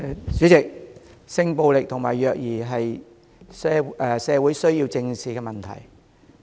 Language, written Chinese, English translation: Cantonese, 代理主席，性暴力和虐兒是社會需要正視的問題。, Deputy President sexual violence and child abuse are issues that our society needs to address